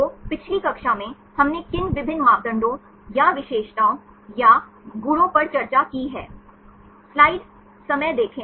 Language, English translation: Hindi, So, what are the various parameters or features or properties we discussed in the previous class